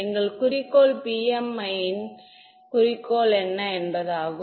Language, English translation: Tamil, Our goal is what is the goal of PMI